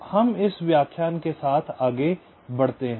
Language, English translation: Hindi, ok, so we proceed with this lecture